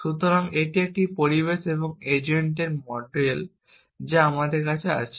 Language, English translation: Bengali, So, this is a model of an agent in an environment that we have